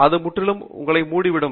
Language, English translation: Tamil, It would completely cover your